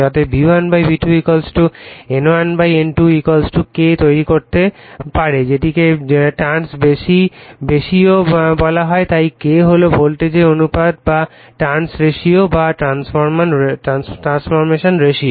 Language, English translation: Bengali, Therefore, we can make V1 / V2 = N1 / N2 = K that is called turns ratio therefore, K is the voltage ratio or turns ratio or transformation ratio